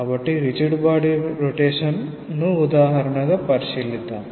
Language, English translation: Telugu, So, let us consider a rigid body rotation example